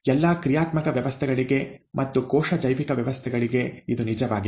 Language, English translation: Kannada, This is true for all dynamic systems, the cell biological systems or all dynamic systems